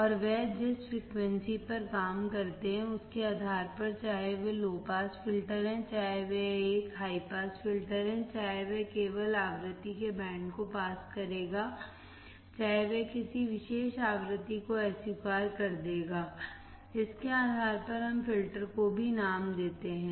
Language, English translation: Hindi, And also based on the frequency they are going to operating at whether it is a low pass filter, whether it is a high pass filter, whether it will only pass the band of frequency, whether it will only reject a particular frequency, so depending on that we name the filters as well